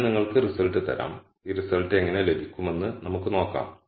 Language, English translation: Malayalam, I will just give you the result and then we will see how we get this result